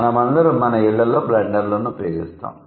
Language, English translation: Telugu, So, all of us we use blenders at our respective houses